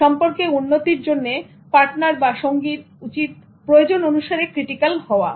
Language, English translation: Bengali, For growth in a relationship, partners need to be critical where required